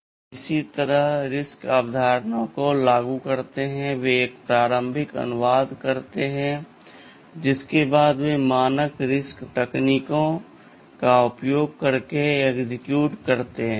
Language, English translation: Hindi, So, they also implement RISC concepts in some way, they make an initial translation after which they execute using standard RISC techniques, RISC instruction execution techniques right